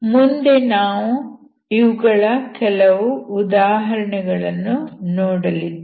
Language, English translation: Kannada, So we will see some examples